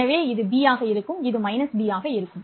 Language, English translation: Tamil, For minus B, this would be minus B and this would be 0